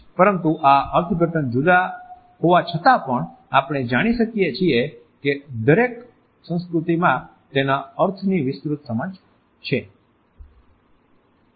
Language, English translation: Gujarati, But even though these interpretations are different we find that a broad understanding of their meaning does exist in every culture